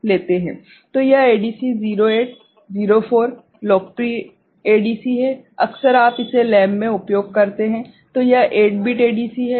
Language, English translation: Hindi, So, this ADC 0804 is popular often you use it in the lab ok, so this is a 8 bit ADC